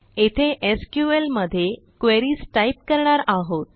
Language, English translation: Marathi, and this is where we will type in our queries in SQL